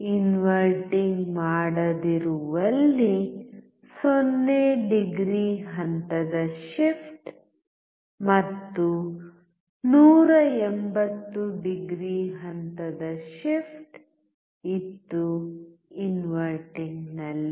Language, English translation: Kannada, There was phase shift of 0 degree in non inverting one and a phase shift of 180 degree in inverting